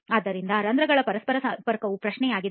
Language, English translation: Kannada, So interconnectivity of the pores is the question